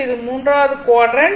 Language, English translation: Tamil, This is third quadrant